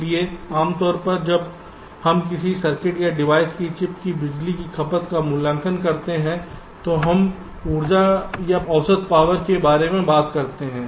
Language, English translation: Hindi, so normally, when we evaluate the power consumption of a circuit or a device or a chip, we talk about the energy or the average power